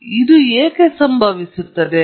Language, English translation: Kannada, Now, why would this occur